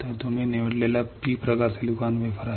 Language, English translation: Marathi, We have chosen P type silicon wafer